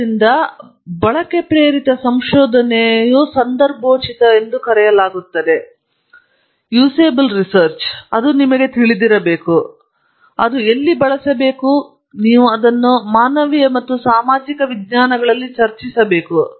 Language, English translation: Kannada, So, it’s called context of use inspired research; it is you must know, where it is going to be used, and you must discuss it with people in humanities and social sciences